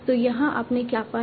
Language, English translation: Hindi, So here what did we find